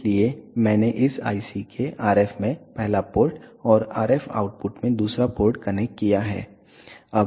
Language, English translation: Hindi, So, I have connected first port to the RF in of this IC and the second port to the RF output